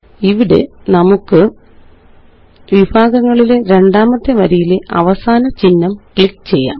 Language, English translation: Malayalam, Here, let us click on the last icon in the second row of categories